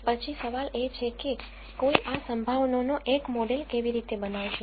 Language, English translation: Gujarati, So, the question then, is how does one model these probabilities